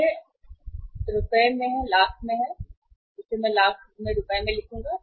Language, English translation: Hindi, This is rupees in lakhs you can say this is the I will write here rupees in lakhs